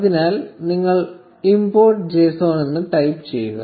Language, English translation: Malayalam, So, you type import j s o n